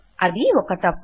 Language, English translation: Telugu, Thats a mistake